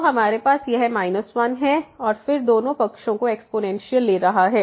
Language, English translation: Hindi, So, we have this minus 1 and then taking the exponential both the sides